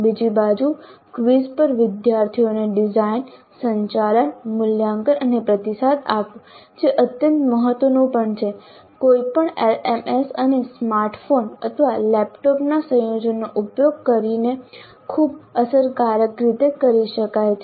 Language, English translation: Gujarati, On the other hand, designing, conducting, evaluating and giving feedback to the students, which is also extremely important on quizzes can be done very effectively using any LMS and a combination of smartphones or laptops